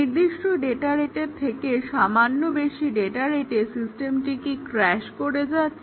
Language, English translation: Bengali, If it slightly exceeds the specified data rate, does the system crash